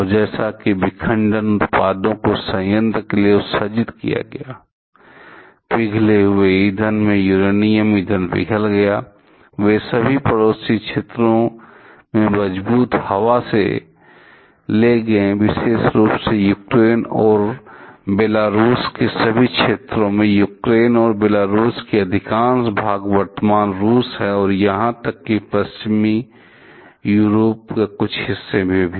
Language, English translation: Hindi, And as the fission products were emitted to the plant, by the melted fuel melted uranium fuel, they were carried by strong air to all the neighboring areas, particularly over in all areas of Ukraine and Belarus are most part of Ukraine and Belarus the present Russia and even in some parts of Western Europe